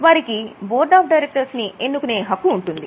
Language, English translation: Telugu, They have a voting right to appoint the board of directors for managing the company